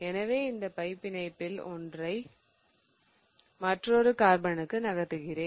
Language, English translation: Tamil, So, what it does is it moves one of these pi bonds onto the other carbon